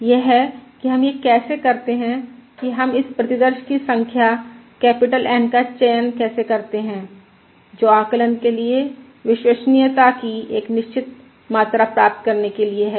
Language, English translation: Hindi, That is, how do we, how do we um, how do we choose this number of samples, capital N, that is required for estimation to achieve a certain degree of reliability